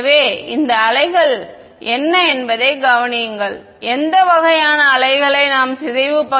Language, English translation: Tamil, So, notice what are these waves what kind of waves we call these with a decaying part